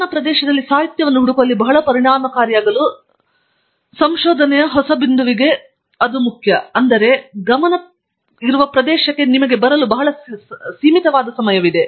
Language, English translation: Kannada, Its very important for a newbie in research to be very effective in searching the literature in his or her area, because the amount of time available to come to the focus area is very limited